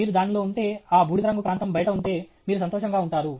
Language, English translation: Telugu, Only if you are in that, out of the grey region, you will be happy